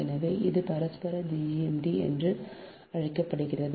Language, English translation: Tamil, so its called mutual gmd, right